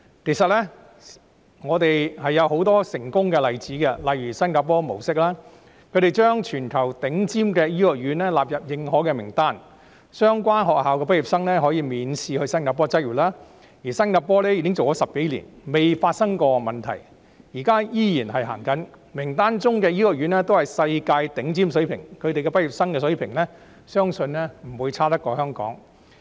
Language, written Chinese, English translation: Cantonese, 其實，我們可借鏡很多成功的例子，例如新加坡模式，他們將全球頂尖的醫學院納入認可名單，讓其畢業生可以免試到新加坡執業，而新加坡已經落實有關制度10多年，從未發生問題，現在依然施行，名單中的醫學院均達世界頂尖水平，其畢業生水平相信不會比香港遜色。, In fact we can learn from many successful examples such as the Singapore Model under which the worlds leading medical schools are included in its recognized list and their graduates are allowed to have examination - free practice in Singapore . Such a system has been implemented in Singapore for over a decade without any problem and is still in force today . Since the medical schools on the list are all of the worlds top standards it is believed that the standards of their graduates are not inferior to those in Hong Kong